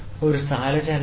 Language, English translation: Malayalam, So, there is a displacement